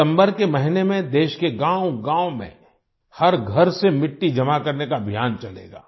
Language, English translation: Hindi, In the month of September, there will be a campaign to collect soil from every house in every village of the country